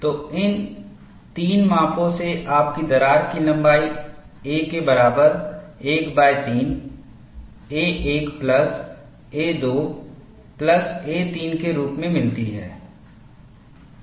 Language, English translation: Hindi, So, from these 3 measurements, you get the crack length as a equal to 1 by 3 a 1 plus a 2 plus a 3